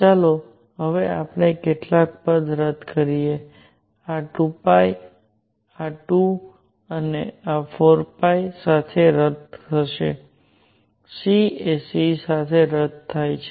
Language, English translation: Gujarati, Let us now cancel a few terms; this 2 pi cancels with this 2 and 4 pi; c cancels with this c